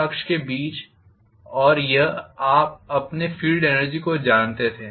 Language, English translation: Hindi, Between the lambda axis and this was you know your field energy